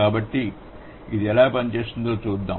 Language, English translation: Telugu, So, let's see how it works